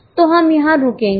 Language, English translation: Hindi, Fine, so we will stop here